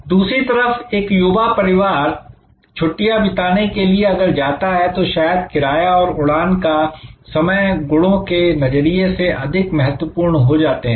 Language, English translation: Hindi, On the other hand for a young family going on holiday perhaps fare and the flight schedules will be the timings will become more important set of attributes